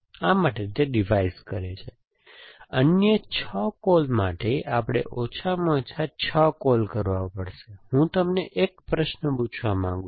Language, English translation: Gujarati, So, we have to make at least 6 calls to revise the other 6 call, enough is a question I want to ask you